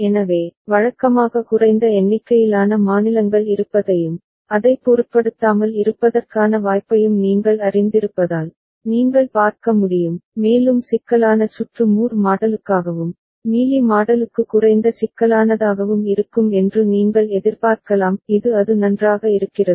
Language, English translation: Tamil, So, usually because of you know less number of states being there and possibility of having don’t care and all, so you can see, you can when expect that more complex circuit will be for Moore model and less complex for Mealy model is it fine